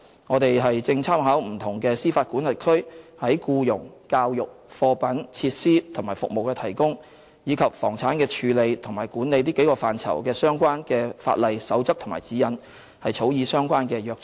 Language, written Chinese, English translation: Cantonese, 我們正參考不同司法管轄區在僱傭、教育、貨品、設施及服務的提供，以及房產的處理和管理這幾個範疇的相關法例、守則和指引，草擬相關的約章。, In drawing up the charter concerned we are studying the relevant legislation codes of practice and guidelines of different jurisdictions in the domains of employment education provision of goods facilities and services and disposal and management of premises